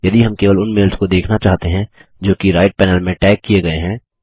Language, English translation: Hindi, Suppose we want to view only the mails that have been tagged, in the right panel